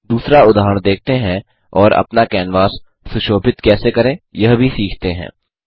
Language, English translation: Hindi, Lets look at another example and also learn how to beautify our canvas